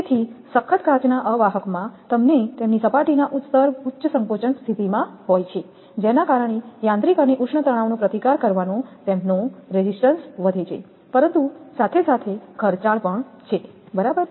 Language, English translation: Gujarati, So, toughened glass insulators have their surface layers in state of high compression due to which their resistance to withstand mechanical and thermal stress is greater, but the same time expensive also right